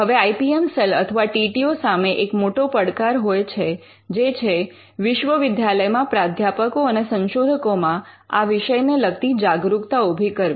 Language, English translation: Gujarati, Now, one of the issues with which the IPM cell or the TTO normally face faces is in educating the professors and the researchers in the university set up